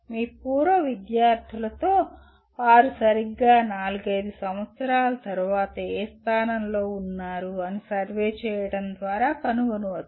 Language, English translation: Telugu, That is by survey with your alumni where exactly they are after four to five years